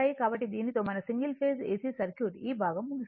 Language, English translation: Telugu, So, with these right our single phase AC circuit at least this part is over right